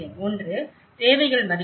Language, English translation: Tamil, One is the needs assessment